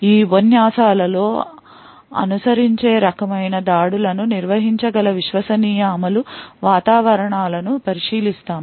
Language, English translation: Telugu, In the lectures that follow we will be looking at Trusted Execution Environments which can handle these kinds of attacks